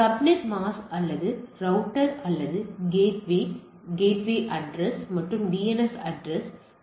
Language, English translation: Tamil, So, subnet mask or router or the gateway address and DNS address and etcetera